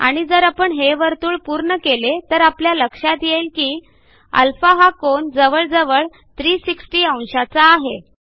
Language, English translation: Marathi, And if I complete this circle we notice that the angle of α will be almost 360 degrees